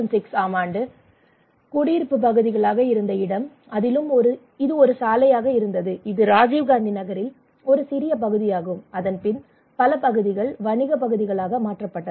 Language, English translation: Tamil, Now here are some of the facts that in 2006 after 2006 lot of residential areas this is actually a road this is one of the fraction of the Rajiv Gandhi Nagar, many are transferred into commercial areas